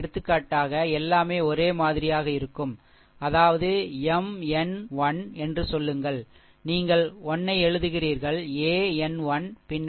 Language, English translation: Tamil, For example, ah everything will remain same, that is your say M n 1, right then you are writing a n 1, then minus 1 to the power say n plus 1